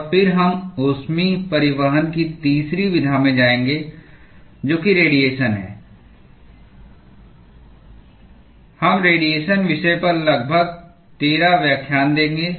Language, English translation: Hindi, And then we will go into the third mode of heat transport which is the radiation, we will spend about 13 lectures in the radiation topic